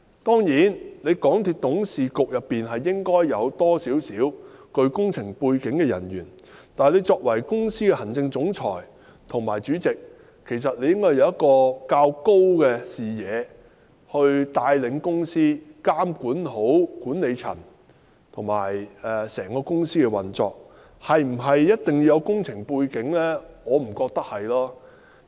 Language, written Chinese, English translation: Cantonese, 當然，港鐵公司董事局應該有一些具備工程背景的成員，但作為公司行政總裁及主席應具較高視野來帶領公司，監管好管理層及整個公司的運作，至於是否一定要具備工程背景，我並不認為有必要。, Of course the MTRCL Board should have some members with an engineering background . But as the Chief Executive Officer and the Chairman of the corporation they should have broader vision to lead the corporation and to properly monitor the management level and the operation of the whole corporation . I thus think they do not need to have an engineering background